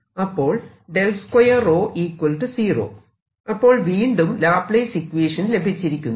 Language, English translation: Malayalam, again a laplace equation